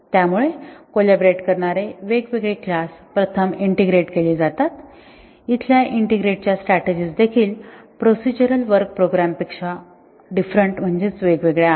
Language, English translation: Marathi, So, different classes which collaborate are integrated first, even the integration strategies here are different from procedural programs